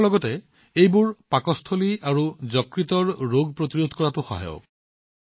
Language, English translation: Assamese, Along with that, they are also helpful in preventing stomach and liver ailments